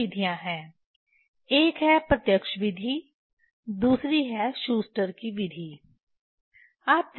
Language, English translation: Hindi, There are two methods: one is direct method another is Schuster